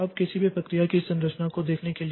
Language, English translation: Hindi, Now to start with we look into the structure of any process